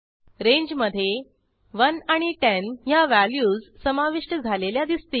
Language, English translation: Marathi, Here you can see the values 1 and 10 are included in the range